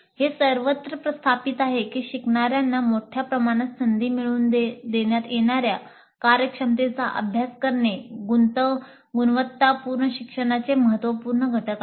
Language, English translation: Marathi, It's widely established that providing learners with a very large number of opportunities to practice the competencies being acquired is crucial element of quality learning